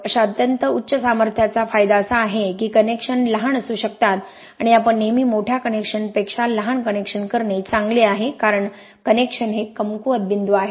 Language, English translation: Marathi, The connections the advantage of such extreme high strength is that the connections can be small and you are always better of doing smaller connections than larger connections because connections are the weak points